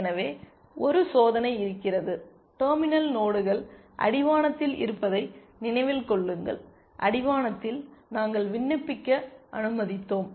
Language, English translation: Tamil, So, some where there is a test so, remember the terminal nodes are those on the horizon, and at the horizon we allowed to apply